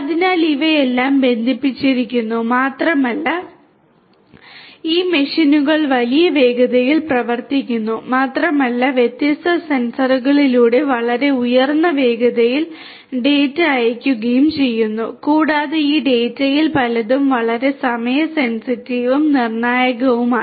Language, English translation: Malayalam, So, all of these are connected and these machines are operating at huge speeds not only that, but they are also sending data through their different sensors at very high speeds and many of this data are very time sensitive and could be critical